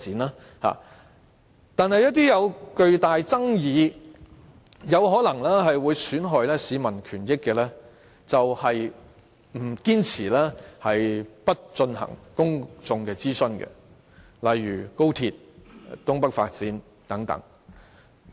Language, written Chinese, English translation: Cantonese, 但是，對於一些有巨大爭議、可能損害市民權益的事情，政府卻堅持不進行公眾諮詢，例如高鐵、東北發展等。, However for issues involving huge controversies that might jeopardize the rights and interests of the public such as XRL development of the North East New Territories and so on the Government insisted on not conducting public consultation